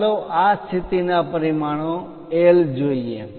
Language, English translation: Gujarati, Let us look at this position dimensions L